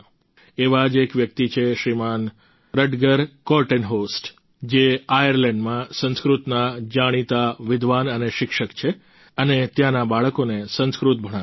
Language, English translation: Gujarati, Rutger Kortenhorst, a wellknown Sanskrit scholar and teacher in Ireland who teaches Sanskrit to the children there